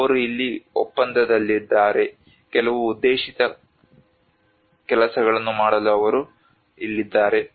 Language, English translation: Kannada, They are here on a contract, they are here to do certain targeted work